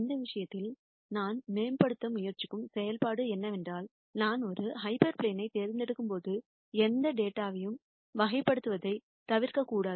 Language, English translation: Tamil, And in this case the function that I am trying to optimize is that when I choose a hyperplane I should not miss classify any data